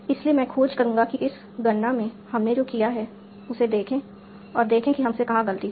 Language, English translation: Hindi, So yeah, I will suggest that you look back in this calculation we did and see where we made a mistake